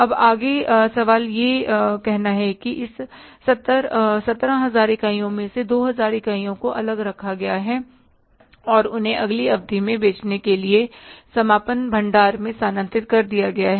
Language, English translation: Hindi, Now further, question says that out of the 17,000 units, 2,000 units are kept aside and they are transferred to the closing stock to be sold in the next period